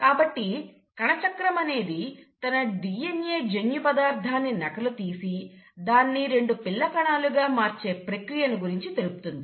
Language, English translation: Telugu, So cell cycle basically talks about how a cell prepares itself to duplicate its DNA and then, to divide into two daughter cells